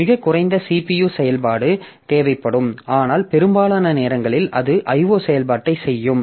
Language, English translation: Tamil, So, the very few CPU operation will be required, but most of the time it will be doing I